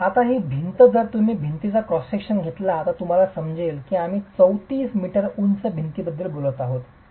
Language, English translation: Marathi, Now this wall if you were to take the cross section of the wall, you will understand that we are talking of a 34 meter high wall